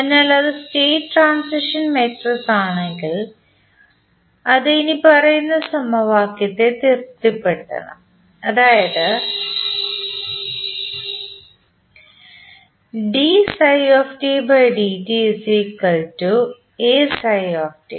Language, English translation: Malayalam, So, in that case if it is the state transition matrix it should satisfy the following equation, that is dy by dt is equal to A phi t